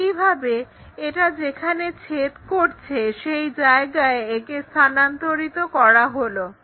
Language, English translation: Bengali, Similarly, transfer this one where it is intersecting, so let us do it in this way